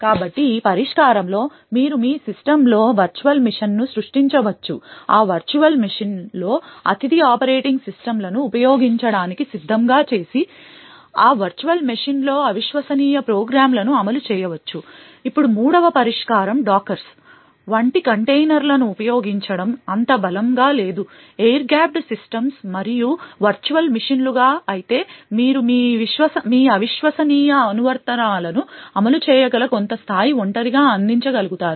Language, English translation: Telugu, So with this solution you could create a virtual machine in your system, install a guest operating system in that virtual machine and then run the untrusted programs on that virtual machine, now a third solution is to use containers such as dockers which is not as strong as the air gapped systems and virtual machines but yet is able to provide some level of isolation in which you could run your untrusted applications